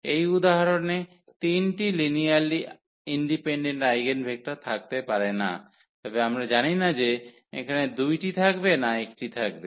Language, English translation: Bengali, There cannot be three linearly eigen linearly independent eigenvectors for example, in this case, but we do not know whether there will be 2 or there will be 1